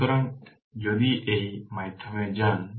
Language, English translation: Bengali, So, if you go through this